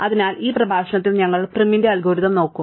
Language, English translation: Malayalam, So, in this lecture we would look at Prim's algorithm